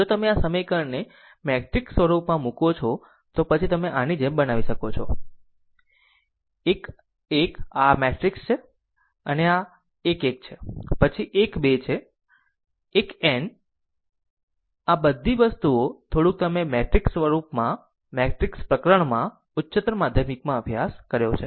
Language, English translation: Gujarati, If you put this equation in the matrix form, then we can make it like this, that a 1 1 this is your this is your a matrix, this is your a matrix, it is a 1 1, then a 1 2, a 1 n these all this things little bit you have studied in your higher secondary, right in matrix chapter